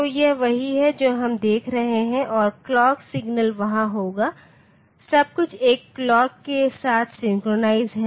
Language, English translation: Hindi, So, this is what we are looking for plus the clock signal will be there, everything is synchronized with a clock